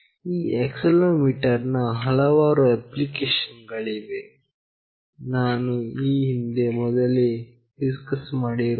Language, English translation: Kannada, There are various applications of this accelerometer, I have already discussed previously